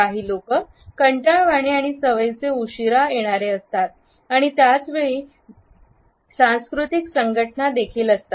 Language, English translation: Marathi, Some people are tardy and habitually late comers and at the same time there are cultural associations also